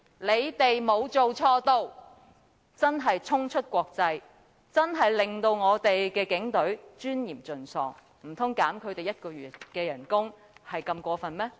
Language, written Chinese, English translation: Cantonese, "這句話真的可謂衝出國際，令我們警隊的尊嚴盡喪，難道扣減他們1個月薪酬是如此過分嗎？, These words can really be said to have gone international thus making our Police Force to have lost all its dignity . Is deducting their salaries by one month so excessive?